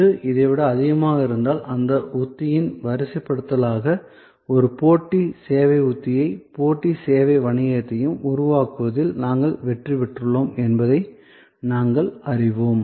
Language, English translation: Tamil, So, if this is higher than this, then we know that we have succeeded in creating a competitive service strategy and competitive service business as a deployment of that strategy